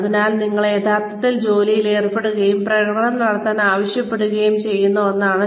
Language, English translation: Malayalam, So that is one, where you are actually put on the job, and asked to perform